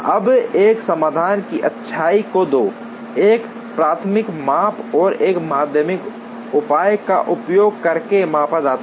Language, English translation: Hindi, Now, the goodness of a solution is measured, using two, a primary measure and a secondary measure